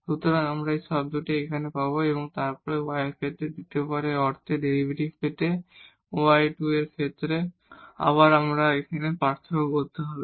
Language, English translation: Bengali, So, we will get this term here and then we need to differentiate this once again with respect to y to get the f yy the second order derivative with respect to y